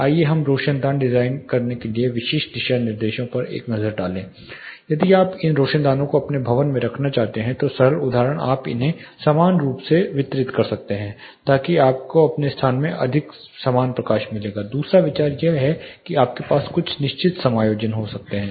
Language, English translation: Hindi, Let us take a look at specific guidelines for designing skylights if you are wanting to put these skylights into your building simple example you can distribute them evenly, so that you will get more uniform light across your space second idea are you can have certain splayed adjust